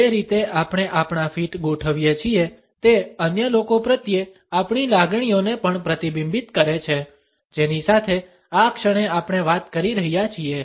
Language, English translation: Gujarati, The way we position our feet also reflects our feelings towards other people to whom we happen to be talking to at the moment